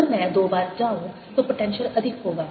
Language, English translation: Hindi, if i go twice the potential will be larger